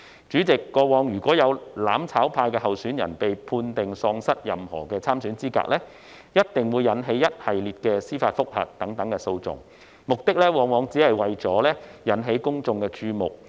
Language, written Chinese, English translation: Cantonese, 主席，過往如果有"攬炒派"候選人被判定喪失任何參選資格，必定會引起一系列的司法覆核等訴訟，目的往往只為引起公眾注目。, Chairman in the past if any candidate of the mutual destruction camp was disqualified from standing for election it would definitely cause a series of lawsuits such as judicial review . Very often the purpose was merely to draw public attention